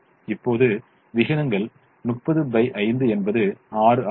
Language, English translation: Tamil, now the ratios are: thirty by five is six